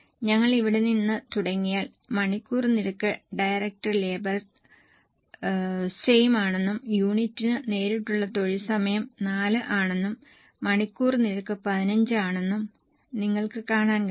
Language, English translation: Malayalam, If we go here you can see that the hour rate is same, direct labour hour per unit is 4 and hourly rate is 15